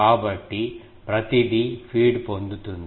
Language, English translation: Telugu, So, everyone is getting fed